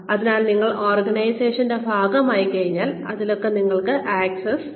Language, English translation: Malayalam, So, once you become a part of the organization, this is what, you have access to